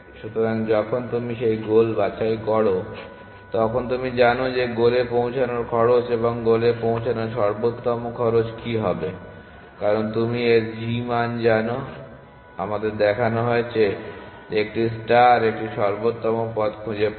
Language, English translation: Bengali, So, when you pick that goal you know what is the cost of reaching that goal and the optimal cost of reaching the goal because you know its g value because we are we are shown that a star finds an optimal path